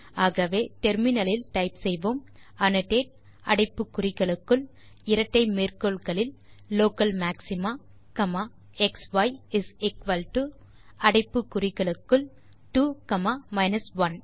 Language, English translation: Tamil, So for that you can type in the terminal annotate within brackets in double quotes local maxima comma xy is equal to within brackets 2 comma 1